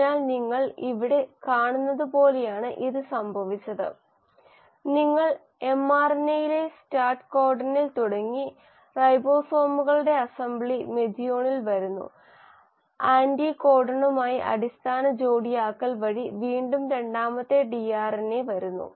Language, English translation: Malayalam, So this has happened as what you have seen here is, you started with the start codon on the mRNA, assembly of the ribosomes, coming in of methionine, coming in of a second tRNA again through base pairing with anticodon